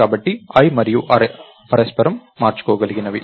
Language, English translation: Telugu, So, i and array are interchangeable